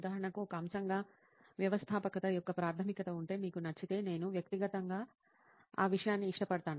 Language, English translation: Telugu, For example, if there is fundamental of entrepreneurship as a subject, like if you like, I personally like that subject